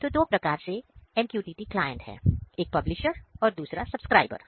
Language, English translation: Hindi, So, now, MQTT client is of two types; one is publisher, one is subscriber